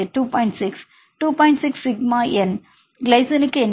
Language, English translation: Tamil, 6 sigma N, what is the value for the glycine